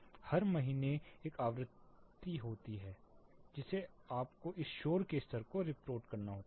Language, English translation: Hindi, There is a frequency every month every quarter you have to be reporting this noise levels